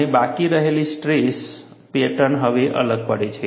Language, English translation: Gujarati, And the residual stress pattern now differs